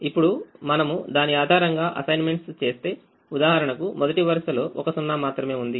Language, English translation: Telugu, now if we made assignments based on, for example: the first row has only one zero, so we could make an assignment here